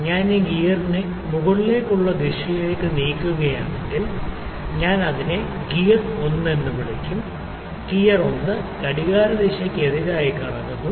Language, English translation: Malayalam, If I move it in an upward direction this gear, I will call it gear 1 this gear 1 is rotating in anti clockwise direction